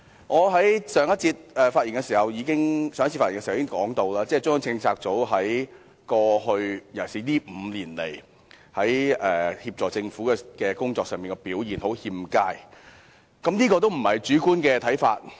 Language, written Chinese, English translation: Cantonese, 我在上一次發言時已經說過，中央政策組在過去，尤其是過去5年，在協助政府的工作上表現欠佳，這個也不是主觀的看法。, As I already said when I spoke last time CPU has performed very poorly in its work of assisting the Government especially over the past five years . This is not a subjective opinion